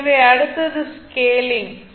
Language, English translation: Tamil, So, next is the scaling